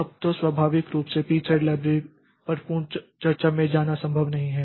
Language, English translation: Hindi, Now, so naturally it is not possible to go into a full fledged discussion on the P thread library